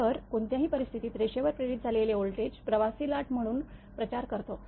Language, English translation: Marathi, So, in any case the voltage induced on the line propagates along the line as a traveling wave